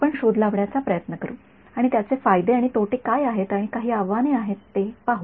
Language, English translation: Marathi, That is what we will try to explore and we will see what are the advantages and disadvantages and some of the challenges ok